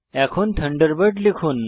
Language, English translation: Bengali, Now type Thunderbird